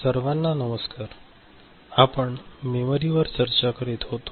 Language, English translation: Marathi, Hello everybody, we were discussing Memory